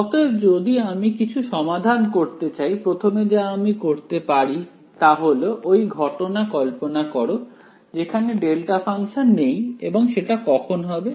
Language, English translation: Bengali, So, if I want to solve something what the first thing I could try to do is to consider the case where the delta function is not present and that happens when